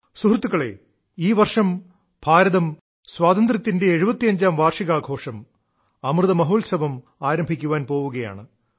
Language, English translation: Malayalam, this year, India is going to commence the celebration of 75 years of her Independence Amrit Mahotsav